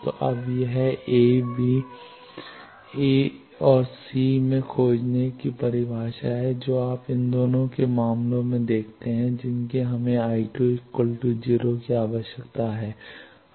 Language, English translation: Hindi, So, this is the definition now to find in A, B, A and C you see in both these cases we require I 2 should be made equal to 0